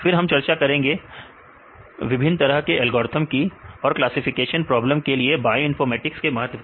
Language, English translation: Hindi, Then we discussed about the different types of algorithms right, importance of the bioinformatics in classification problems